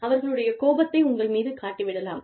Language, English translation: Tamil, They may end up, venting their anger on you